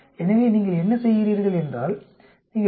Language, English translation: Tamil, So what you do is, you just subtract minus 0